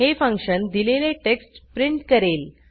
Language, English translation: Marathi, This function will print out the given text